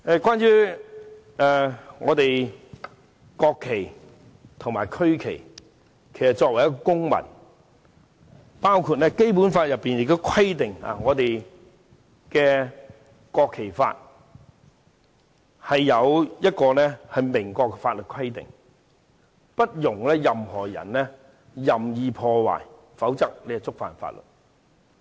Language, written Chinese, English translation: Cantonese, 關於國旗和區旗，其實作為一位公民，《基本法》亦規定......《國旗及國徽條例》有明確的法律規定，禁止任何人任意破壞國旗，否則便屬違法。, Regarding the national flag and the regional flag as a citizen it is stipulated in the Basic Law that Unequivocal statutory requirements are stipulated in the National Flag and National Emblem Ordinance prohibiting damage of the national flag lest it constitutes an offence